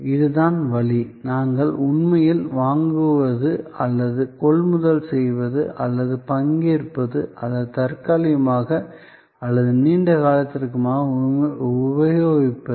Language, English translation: Tamil, This is the way, we actually purchase or procure or participate or used temporarily or for a length of time